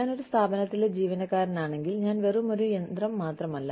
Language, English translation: Malayalam, If I am an employee, of an organization, I am not just a machine